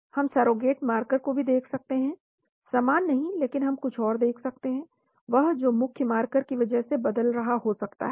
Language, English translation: Hindi, We can also look at surrogate marker, not the same but we can look at something else because which may be changing because of the main marker